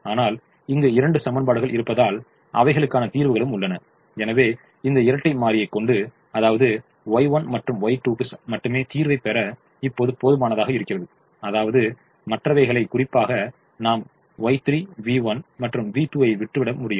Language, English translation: Tamil, but since there are two equations, they are in the solution and therefore it is now enough for me to solve this dual only for y one and y two, which means i can leave out y three, v one and v two